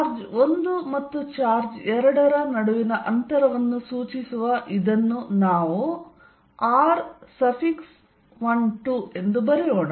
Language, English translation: Kannada, Let us write this as r 1 2 that indicates, the distance between charge 1 and charge 2